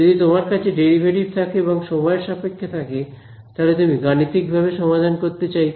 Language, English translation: Bengali, If there is a derivative and time and you want to solve it numerically you would